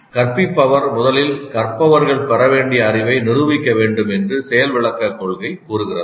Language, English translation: Tamil, Demonstration principle says that instructor must first demonstrate the knowledge that the learners are supposed to acquire